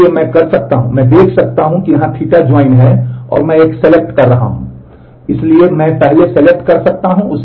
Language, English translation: Hindi, So, I can you can I can see here that there is a theta join and then I am doing a selection